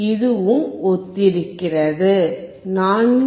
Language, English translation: Tamil, It is also similar; 4